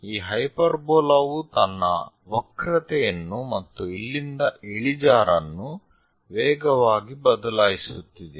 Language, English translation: Kannada, Now, join these points, hyperbola isvery fastly changing its curvature and also the slope from here